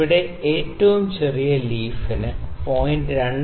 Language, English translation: Malayalam, The smallest leaf here has the pitch 0